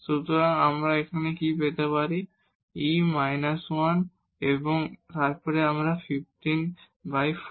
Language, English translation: Bengali, So, what do we get here, e power minus 1 and then here 15 over this 4